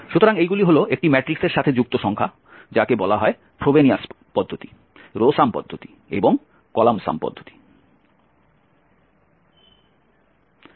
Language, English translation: Bengali, So these are the numbers associated with a matrix which are called Frobenius norm row sum norm and the column sum norm